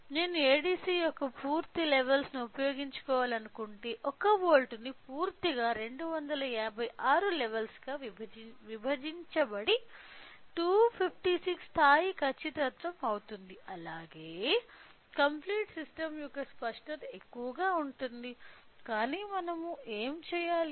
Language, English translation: Telugu, So, if I want to whereas if I utilise a complete levels of ADC so that this complete 1 volt will be divided into 256 levels will be 256 level then the accuracy as well as the resolution of the complete system will be higher, but how do we do that